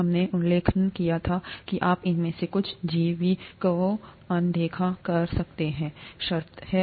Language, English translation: Hindi, We had mentioned that you could ignore some of these biological terms